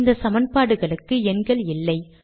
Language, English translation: Tamil, These equations dont have numbers